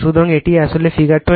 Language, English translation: Bengali, So, it is actually figure 29